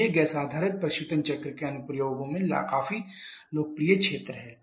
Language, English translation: Hindi, So these are quite popular area of application of gas based refrigeration cycle